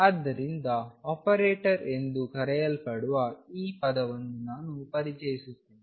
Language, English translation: Kannada, So, I am introducing a term called operator these are known as operators